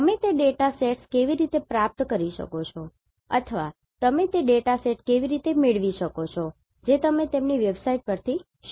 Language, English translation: Gujarati, How you can acquire those data sets or how you can procure those data sets that you will learn from their websites